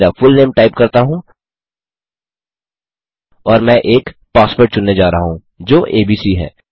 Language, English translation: Hindi, Then type my fullname and I am going to choose a password which is abc